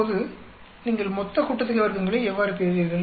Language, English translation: Tamil, Now, how do you get total sum of squares